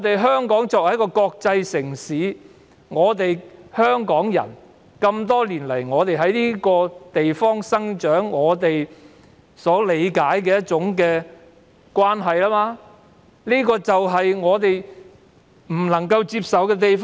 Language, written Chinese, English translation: Cantonese, 香港作為一個國際城市，香港人多年來在這個地方土生土長，我們所理解的愛國與內地截然不同，這就是我們無法接受的地方。, Hong Kong is an international city where many people were born and bred . Our understanding of patriotism is very different from that of the Mainlanders and that is why we find this unacceptable